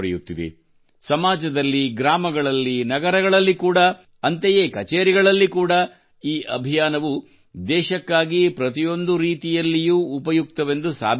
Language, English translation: Kannada, In the society as well as in the villages, cities and even in the offices; even for the country, this campaign is proving useful in every way